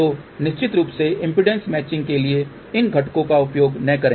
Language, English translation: Hindi, So, their definitely please do not use these components for impedance matching